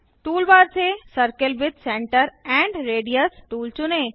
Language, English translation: Hindi, Select Circle with Center and Radius tool from toolbar